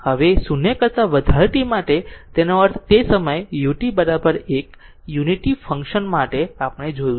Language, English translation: Gujarati, Now, for t greater than 0 that means at that time U t is equal to 1 for unit function we have seen